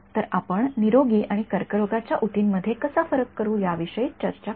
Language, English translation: Marathi, So, we will talk about how we will distinguish between healthy and cancerous tissue